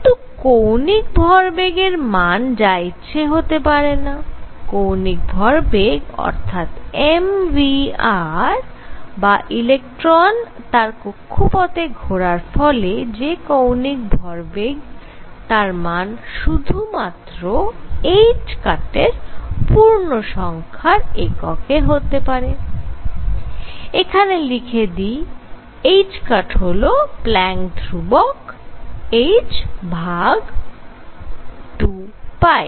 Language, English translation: Bengali, The angular momentum cannot be arbitrary angular momentum or m v r which is equal to the angular momentum of electron going around this orbit can take only those values which are integer multiples of h cross, let me write h cross equals h Planck’s constant divided by 2 pi